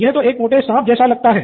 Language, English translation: Hindi, This looks like a fat thick snake